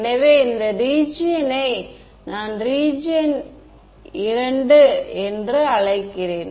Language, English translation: Tamil, So, in let us call this region I and let us call this region II